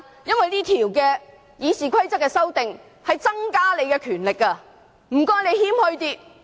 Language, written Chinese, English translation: Cantonese, 修訂《議事規則》會增加你的權力，但請你謙虛一點。, The amended RoP will enhance your powers but please be more humble